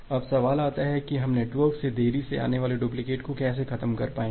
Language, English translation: Hindi, Now the question comes that how we will be able to eliminate the delayed duplicate from the network